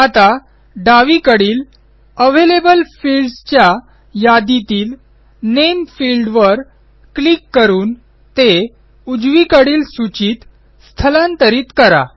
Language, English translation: Marathi, Now, let us double click on the Name field in the Available fields list on the left and move it to the list box on the right